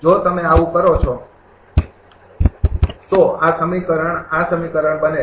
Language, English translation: Gujarati, If you do so, then this equation becomes this equation